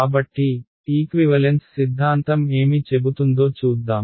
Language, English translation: Telugu, So, let us look at what equivalence theorem say